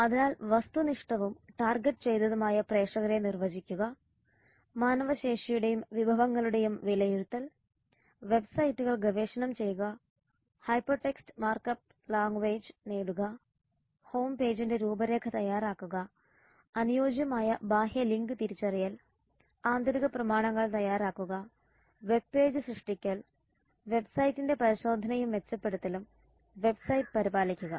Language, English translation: Malayalam, the marketing plan on internet so define objective and target audience evaluation of manpower and recourses research the web sites acquire the hyper text markup language HTML outline structure of the home page appropriate outside link identification prepare internal documents web page creation testing and enhancement of website and maintain website these are some of the marketing plans requirements of the internet